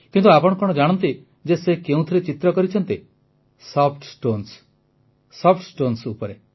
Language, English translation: Odia, But, did you know where she began painting Soft Stones, on Soft Stones